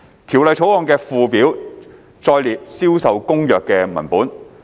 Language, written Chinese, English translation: Cantonese, 《條例草案》的附表載列《銷售公約》的文本。, The text of CISG is set out in the Schedule to the Bill